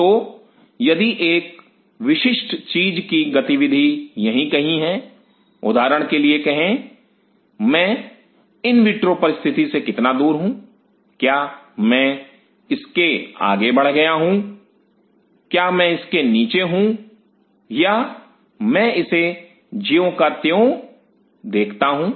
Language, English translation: Hindi, So, if the activity of a particular thing is somewhere here seen for example, how far I am in in vitro condition; am I exceeding it am I below it is I seem at it